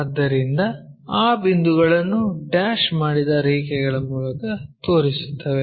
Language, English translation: Kannada, So, those points will show it by dashed lines